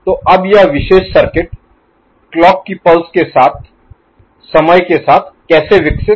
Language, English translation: Hindi, So, now how this particular circuit evolves with time, with clock pulses